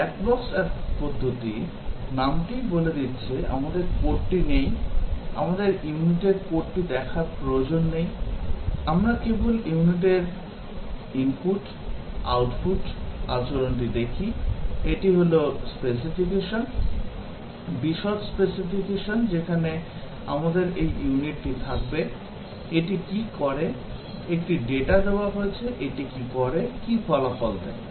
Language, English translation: Bengali, The black box approach, as the name says, we do not have, we do not need to look at the code of the unit; we just look at the input, output behavior of the unit; that is, the specification, detailed specification, where we will have this unit, what does it do; given a data, what data does it, what result does it produce